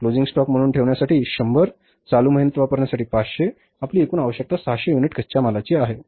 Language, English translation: Marathi, 100 to be kept as a closing stock, 500 to be used in the current month, your total requirement is of the 600 units of raw material